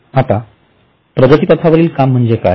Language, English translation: Marathi, Now what is meant by work in progress